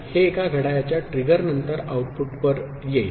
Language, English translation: Marathi, It will come to the output after one clock trigger